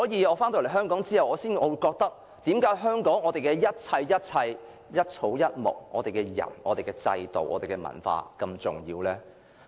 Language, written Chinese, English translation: Cantonese, 我回港後便感到，為何香港的一事一物、一草一木、人、制度和文化如此重要呢？, After returning to Hong Kong I began to feel that everything in Hong Kong its people its institutions and its culture was very important